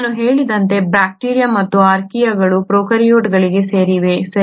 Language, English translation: Kannada, As I said bacteria and Archaea belong to prokaryotes, right